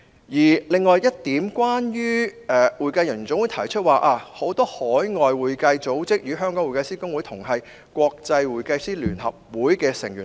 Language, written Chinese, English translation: Cantonese, 此外，總會指出，很多海外會計組織與香港會計師公會同屬國際會計師聯合會的成員。, In addition HKAPA pointed out that many institutes of accountants outside Hong Kong are also members of the International Federation of Accountants as in the case of the Hong Kong Institute of Certified Public Accountants